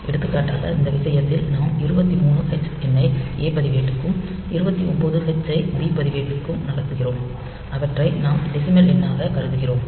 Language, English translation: Tamil, For example, in this case we are moving the number 23 h to A register, 29 h to B register, and assuming that we are treating them as a decimal number